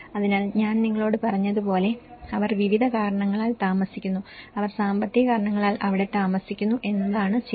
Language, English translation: Malayalam, So, they are staying for various reasons as I said to you, they are staying for the economic reasons, okay